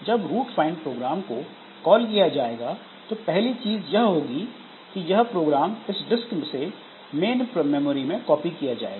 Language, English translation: Hindi, So, this root find program is called, so then the first thing is that this from the disk this program has to be copied into the main memory